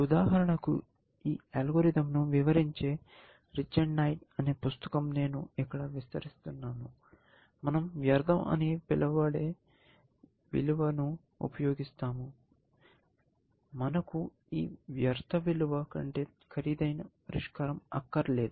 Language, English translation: Telugu, If you look at for example, rich and night, the book which describes this algorithm, that I am describing here; we use that some value call futility, which says that basically, we do not want solution which is more expensive than this value